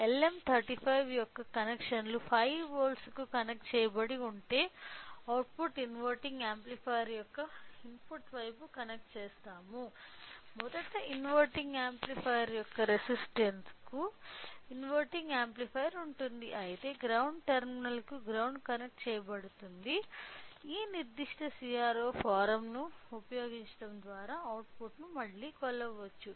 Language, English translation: Telugu, So, if we see the connections of LM35 the input is connected to the 5 volts, the output is connected to the input side of inverting amplifier to the resistance of a inverting first is of inverting amplifier whereas, the ground terminal is connected to the ground and the output again can be measured by using this particular CRO form